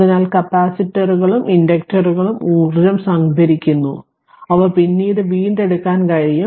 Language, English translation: Malayalam, So, capacitors and inductors store energy which can be retrieved at a later time